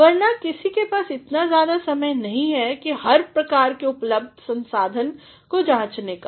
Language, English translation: Hindi, Otherwise, nobody has got too much time to go through all sorts of resources available